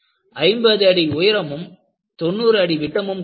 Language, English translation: Tamil, It was 50 feet tall and 90 feet in diameter